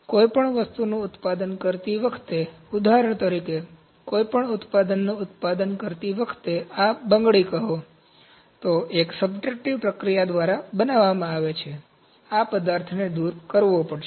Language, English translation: Gujarati, While manufacturing anything, for instance while manufacturing any product say this bangle, it is manufactured through a subtractive process, this material has to be removed